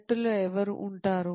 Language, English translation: Telugu, Who will be in the team